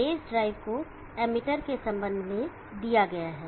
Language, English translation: Hindi, The base drive is given with respect to the emitter